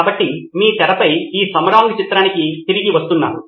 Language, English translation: Telugu, So, Samarang coming back to this picture on your screen